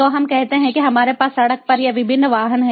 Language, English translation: Hindi, so let us say that we have these different vehicles on the road